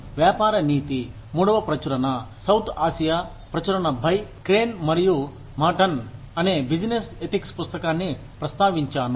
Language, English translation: Telugu, I have referred to a, business ethics book called, Business Ethics, Third Edition, South Asia Edition by, Crane and Matten